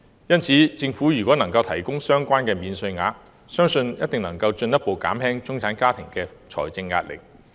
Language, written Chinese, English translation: Cantonese, 因此，如政府能提供相關免稅額，相信一定能夠進一步減輕中產家庭的財政壓力。, Hence I believe the provision of such an allowance by the Government can definitely further reduce the financial pressure on middle - class families